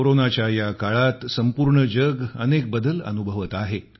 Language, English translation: Marathi, During this ongoing period of Corona, the whole world is going through numerous phases of transformation